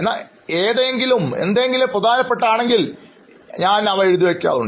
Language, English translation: Malayalam, But when something is important, I do make it a point of noting it down